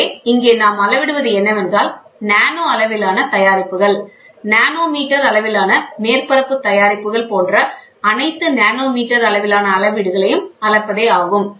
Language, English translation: Tamil, So, here what we are measuring is we are trying to measure features which are fabricated, features fabricated at nanoscale, nanometer scale features and surfaces, fabricated at nanometer scales or levels, ok